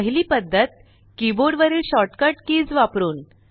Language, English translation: Marathi, First is using the shortcut keys on the keyboard